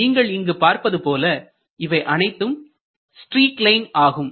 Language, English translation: Tamil, you can see these are streak lines